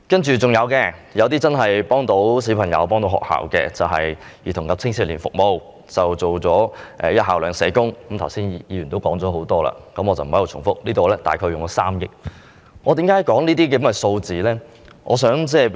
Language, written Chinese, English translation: Cantonese, 還有其他有助小朋友和學校的措施，在"兒童及青少年服務"部分提出實行"一校兩社工"——剛才已有議員就此發言，我不在此重複——相關開支約3億元。, There are other measures for providing assistance to children and schools . In the section on Child and Youth Services the implementation of two school social workers for each school is proposed―as some Members have spoken on this topic just now I will not repeat―the relevant expenditures are about 300 million